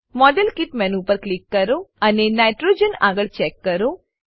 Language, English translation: Gujarati, Click on the modelkit menu and check against Nitrogen